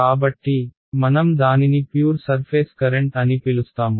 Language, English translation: Telugu, So, I will call this the pure surface current all right